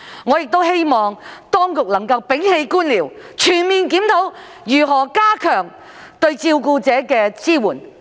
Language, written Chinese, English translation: Cantonese, 我亦希望當局能摒棄官僚主義，全面檢討如何加強對照顧者的支援。, I also hope that the authorities can get rid of bureaucracy and conduct a comprehensive review on how to strengthen support for carers